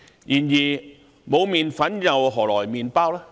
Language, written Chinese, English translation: Cantonese, 然而，沒有麵粉，何來麵包？, However without flour where will bread come from?